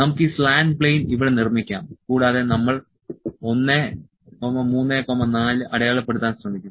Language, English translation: Malayalam, Let us made this slant plane this slant plane here this slant plane here also will try to 1, 3 4